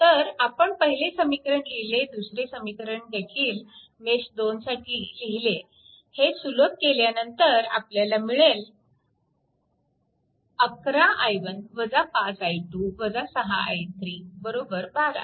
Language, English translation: Marathi, So, if you come to that that first equation, I wrote second equation for mesh 2 also, we wrote right and if you simplify, it will be 11, i 1 minus 5, i 2 minus 6, i 3 is equal to 12